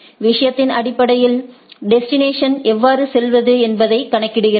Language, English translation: Tamil, Based on the thing it calculates the how to go to the destinations